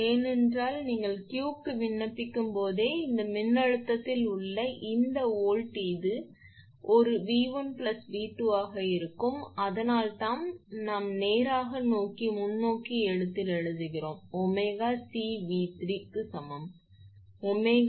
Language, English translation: Tamil, Because as soon as you will apply for Q, so this volt across this voltage will be this one V 1 plus V 2 V 1 plus V 2 that is why we are writing in straight forward writing omega C V 3 is equal to omega C V 2 plus 0